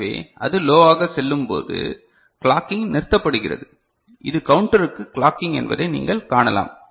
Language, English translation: Tamil, So, when it goes low, the clocking stops, you can see this is the clocking to the counter